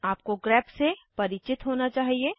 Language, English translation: Hindi, You should be aware of grep